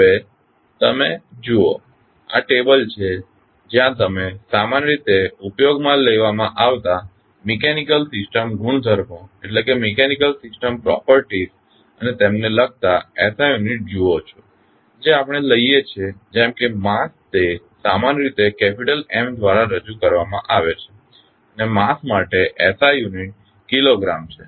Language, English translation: Gujarati, Now, you see this is the table where you can see the generally utilized mechanical system properties and their corresponding the SI unit which we take like mass is generally represented by capital M and the SI unit is Kilogram for the mass